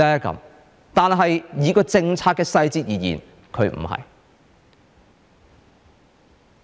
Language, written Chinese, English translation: Cantonese, 從政策的細節而言，它不是。, Judging from the policy details it is not